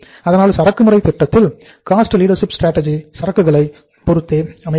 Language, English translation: Tamil, So inventory strategy in case of the cost leadership strategy remains marked to stock